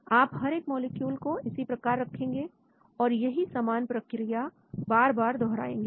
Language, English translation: Hindi, so you place each molecule and then we repeat the same procedure